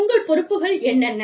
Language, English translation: Tamil, What is your liability